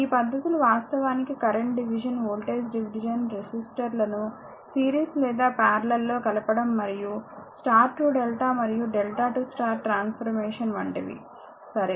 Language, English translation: Telugu, This technique actually include; the current division, voltage division, combining resistors in series or parallel and star to delta and delta to star transformation, right